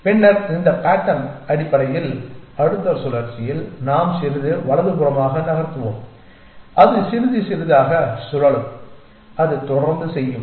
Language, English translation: Tamil, Then this pattern essentially in the next cycle we will move little bit to the right may be it will rotate by a little bit and it will keep doing that